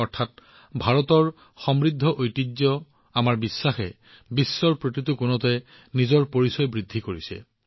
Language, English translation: Assamese, That is, the rich heritage of India, our faith, is reinforcing its identity in every corner of the world